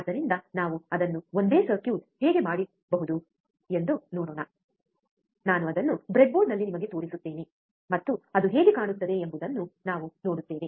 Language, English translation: Kannada, So, let us see how we can do it the same circuit, I will show it to you on the breadboard, and then we will see how it looks like